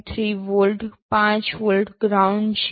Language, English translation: Gujarati, 3 volt, 5 volts, ground